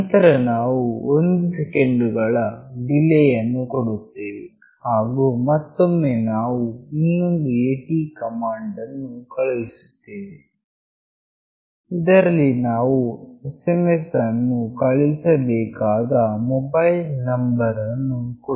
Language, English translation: Kannada, Then we give a delay of 1 second and then again we are sending another AT command where we are providing the mobile number to which the SMS will be sent